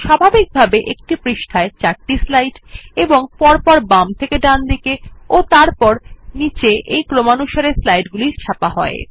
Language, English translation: Bengali, By default,there are 4 slides per page and the default order is left to right,then down